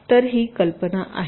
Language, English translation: Marathi, this is the basis idea